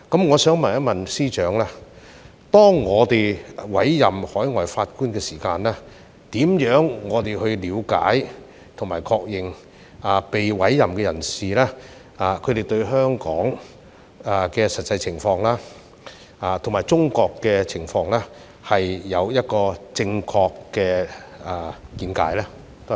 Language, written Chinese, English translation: Cantonese, 我想問司長，當我們委任海外法官時，如何了解及確認被委任的人士對香港及中國的實際情況有正確的見解呢？, I would like to ask the Chief Secretary how we can understand and ascertain that the overseas judges to be appointed have a correct understanding of the actual situation of Hong Kong and China when we make the appointment?